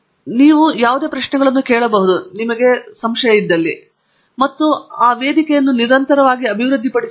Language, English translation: Kannada, You can ask any questions and itÕs continuously developed